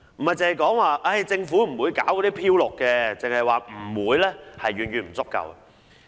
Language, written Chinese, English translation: Cantonese, 不要只是說政府不會搞"漂綠"，只說不會是遠遠不足夠的。, Do not simply say the Government will not greenwash . Just saying it is far from enough